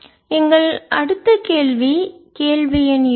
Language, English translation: Tamil, so our next question is question number two